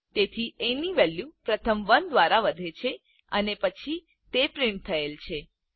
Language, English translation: Gujarati, So the value of a is first incremented by 1 and then it is printed